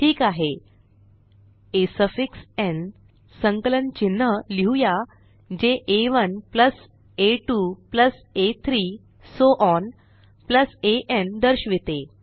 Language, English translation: Marathi, Alright, now let us write a summation symbol for a suffix n, to denote a1 + a2 + a3 so on + an